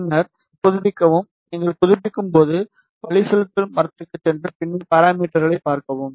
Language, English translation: Tamil, And then update when you updated go to navigation tree, and then see the parameters